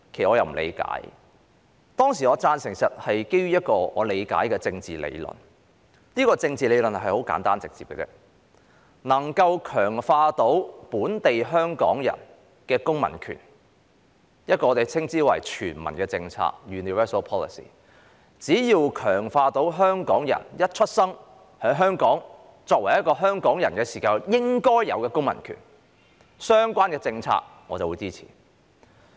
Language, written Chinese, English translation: Cantonese, 我當時投贊成票是基於我所理解的政治理論，而這套政治理論很簡單直接：能夠強化本地香港人公民權的政策，我們稱之為全民政策，只要相關政策能強化香港人在出生後於香港作為香港人應有的公民權，我便會支持。, I voted in favour of Dr CHIANGs motion back then based on my understanding of a simple and direct political theory We call whatever policy which can strengthen the civil rights of local Hong Kong people a universal policy . I will support all policies which will strengthen the civil rights enjoyed by Hong Kong residents born in Hong Kong